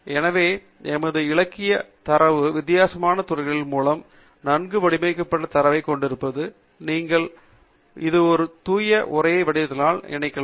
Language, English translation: Tamil, So, you can see that essentially our literature data is a very well organized data with difference fields and it can be combined because its a pure text format